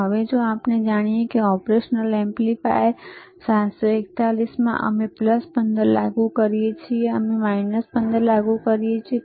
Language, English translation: Gujarati, Now, if if we know we have studied right, in operational amplifiers 741, we apply plus 15, we apply minus 15